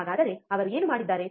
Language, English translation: Kannada, So, what he has done